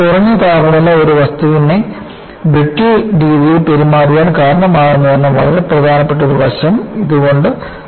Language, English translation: Malayalam, It brought out a very important aspect that low temperature can cause a material to behave in a brittle fashion